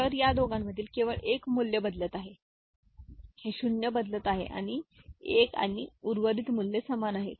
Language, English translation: Marathi, So, between these two, only one value is changing, this 0 is changing to 1 and rest of the values are remaining same